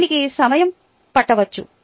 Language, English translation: Telugu, it might take time